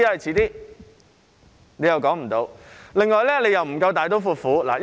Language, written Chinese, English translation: Cantonese, 此外，當局又不夠大刀闊斧。, In addition the authorities are not bold enough